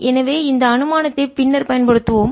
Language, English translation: Tamil, so we will use this assumption later on